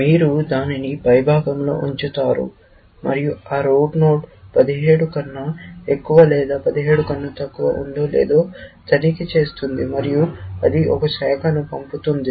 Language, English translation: Telugu, You will put it at the top, and you will check, whether that root node is greater than 17 or less than 17, and it will send it down one branch